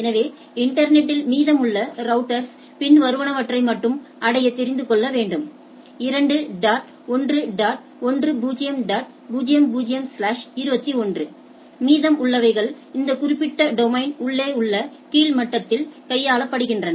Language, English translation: Tamil, So, routers in the rest of the internet needs to know to reach only 2 naught 1 dot 10 dot 00 slash 21 rest are handled at the lower level at the at the inside the inside that particular domain